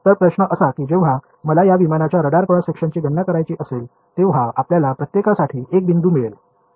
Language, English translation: Marathi, So, question is when I want to calculate the radar cross section of this aircraft, will you get a point for each